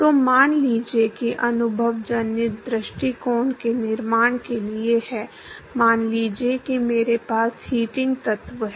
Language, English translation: Hindi, So, suppose to the construction for empirical approach is: suppose I have a heating element